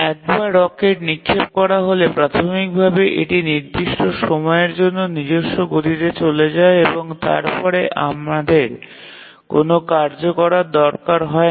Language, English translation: Bengali, So, once the rocket is fired, initially it goes on its own momentum for certain time and then we don't have a task correction taking place